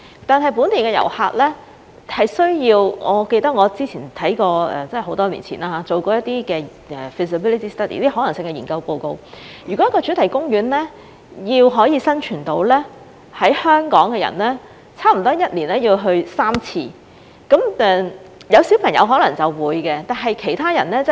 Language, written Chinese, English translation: Cantonese, 但是，本地遊客是需要......我記得我之前看過很多年前做的一些 feasibility study， 如果一個主題公園要生存，在香港的人差不多1年要去3次，有小朋友的人可能會的，但其他人則未必。, However while local visitors are needed I recall that I have read some feasibility studies conducted many years ago and it was said that in order for a theme park to survive Hong Kong people have to go there almost thrice a year . People with children may probably do so but others may not